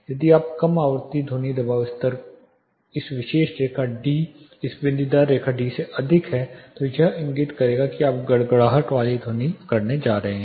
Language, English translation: Hindi, If you are low frequency sound pressure levels are exceeding this particular line D, this dotted line D it will indicate here going to have a rumbling sound